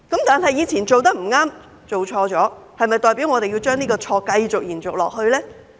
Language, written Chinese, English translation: Cantonese, 不過，以前做得不對、做錯了，是否代表我們要將這個錯誤延續呢？, However if we have done something incorrect or wrong in the past does it mean that we must perpetuate such mistakes?